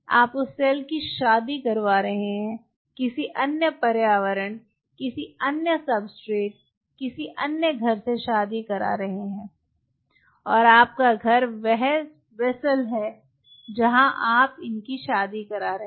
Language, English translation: Hindi, you are marrying the cell, getting it married to another environment, another substrate, another house, and your house is that vessel where you are getting them married